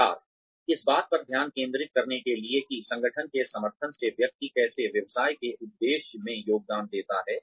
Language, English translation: Hindi, Communication, to focus on, how the individual, with the support of the organization, contributes to the aims of the business